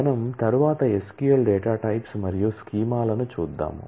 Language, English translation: Telugu, Let us move on and look at the SQL data types and schemas